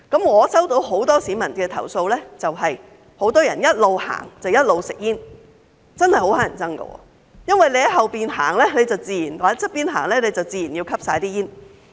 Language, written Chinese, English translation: Cantonese, 我接獲很多市民投訴，指很多人一邊走一邊吸煙，真的十分討人厭，因為走在後面或旁邊的人，自然會吸入煙霧。, I have received many complaints from the public that many people are smoking while walking which is really annoying because people walking behind or next to them will inevitably inhale the smoke